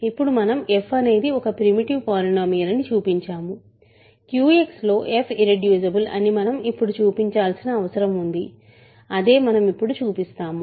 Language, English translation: Telugu, Now we have showed that f is a primitive polynomial we need to now show that f is irreducible in Q X, that is what we will show now